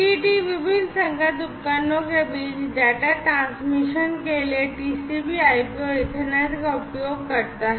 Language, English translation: Hindi, So, it uses the TCP/IP and the Ethernet for data transmission between different compatible devices